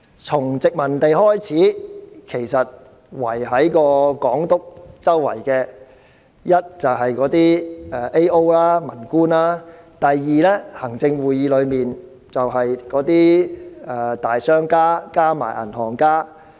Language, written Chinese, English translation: Cantonese, 在殖民時代，在總督身邊的一是政務主任、民官，另一是行政會議內的大商家及銀行家。, During the colonial era Governors were surrounded either by Administrative Officers AO and civil officials or businessmen and bankers in the Executive Council